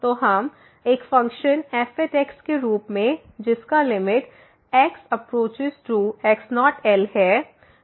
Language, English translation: Hindi, So, we have a function whose limit as approaches to this naught is